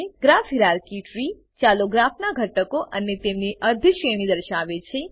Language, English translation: Gujarati, Graph hierarchy tree displays the current graph components and their hierarchy